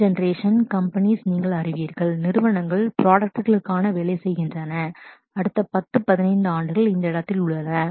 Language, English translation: Tamil, You know new generation companies, the companies were working for products for the next 10, 10, 15 years are in this space